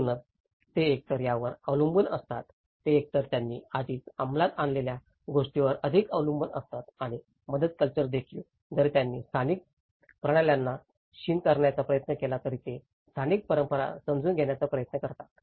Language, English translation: Marathi, So, they either depend on the, they either rely more on what they have already executed and also the relief culture though they try to undermine the local systems, they try to understand, undermine the local traditions